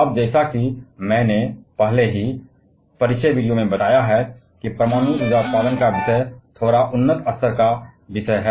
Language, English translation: Hindi, Now the as I have already mentioned in the introduction video that the topic of nuclear power generation is a bit of advanced level topic